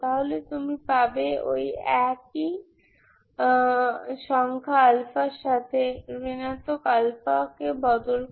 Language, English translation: Bengali, So what you get is the same number with alpha is replaced with minus alpha